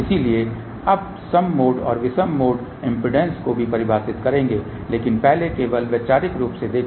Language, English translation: Hindi, So, now we will define even mode and odd mode impedances, but first let just look at conceptually